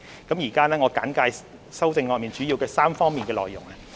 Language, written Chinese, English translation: Cantonese, 我現在簡介修正案的主要的3方面內容。, I now briefly introduce the three major areas of the amendments